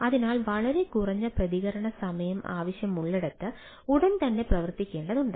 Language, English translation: Malayalam, so where we require a very low response time, so immediately need to be act, acted